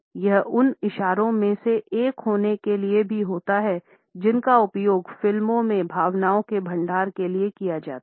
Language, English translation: Hindi, It also happens to be one of those gestures which are used as stock expressions of emotions in movies